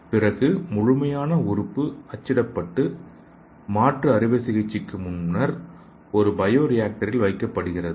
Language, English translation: Tamil, Then you print the complete organ then place the bio printed organ in a bio rector prior to transplantation